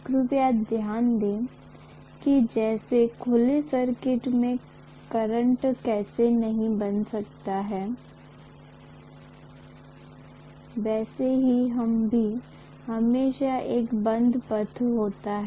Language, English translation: Hindi, Please note that just like how a current cannot flow in an open circuit; this is also always a closed path